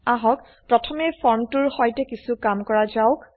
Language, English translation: Assamese, Let us Work with the form first